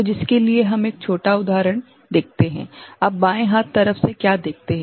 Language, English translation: Hindi, So, for which we look at one small example, what you see in the left hand side